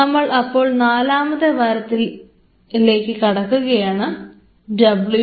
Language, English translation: Malayalam, So, to start off with Lecture 1 and we are into week 4 W 4 slash L 1